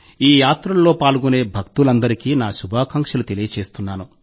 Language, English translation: Telugu, I wish all the devotees participating in these Yatras all the best